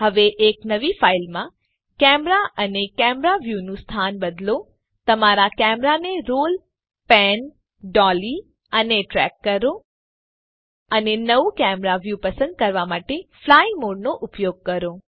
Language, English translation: Gujarati, Now in a new file, change the location of the camera and the camera view, roll, pan, dolly and track your camera and use the fly mode to select a new camera view